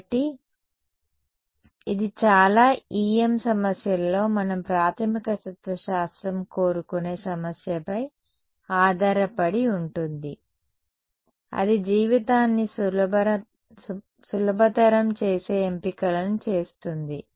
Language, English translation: Telugu, So, it depends on the problem we want to basic philosophy in most E M problems is make those choices which makes life easy